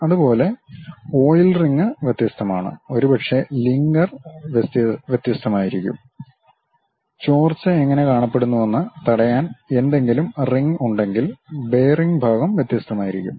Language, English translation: Malayalam, Similarly, oil rings are different, perhaps lingers are different; if there are any ore ring kind of thing to prevent leakage how it looks like, the bearing portion is different